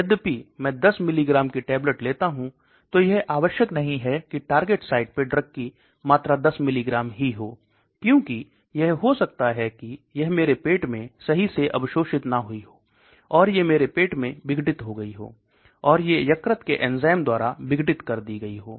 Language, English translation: Hindi, So just because I take a 10 milligram tablet does not be at the target site the concentration of the drug will be 10 milligrams, because it might not be absorbed properly in my stomach or it may get degraded in the acidity in my stomach, or it may get degraded by the liver enzymes